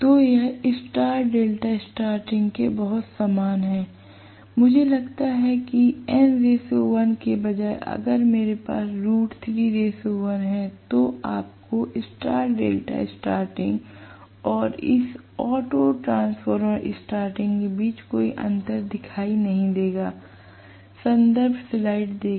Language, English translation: Hindi, So, it is very very similar to star delta starting, if I assume that instead of n is to 1 I have root 3 is to 1, you would not see any difference between the star delta starting and this auto transformer starting